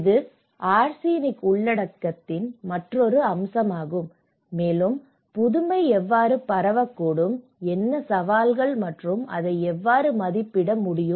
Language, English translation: Tamil, And this is also an another aspect of the arsenic content and how innovation could be diffused and what are the challenges and how one can assess it